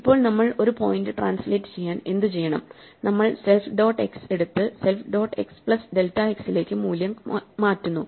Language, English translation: Malayalam, So, what do we want to do when we want to translate a point, we want to take self dot x and move it to self dot x plus the value delta x